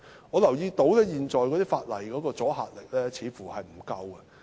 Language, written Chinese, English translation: Cantonese, 我留意到現有法例的阻嚇力似乎不足。, I have noticed that the deterrent effect of the existing law seems not sufficient